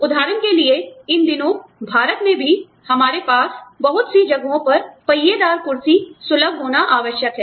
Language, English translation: Hindi, For example, these days, even in India, we need to have, you know in, i mean, you know, a lot of places need to be, wheelchair accessible, for example